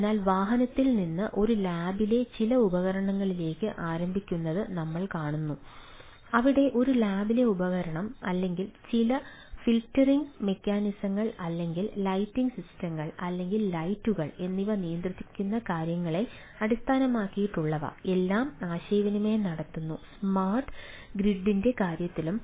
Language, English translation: Malayalam, so we see ah, starting for from vehicle to some of the devices in a lab, where the device in a lab, or even ah some filtering mechanisms or a ah lighting systems or lights, right which are, which are based on the things, may be controlled by the things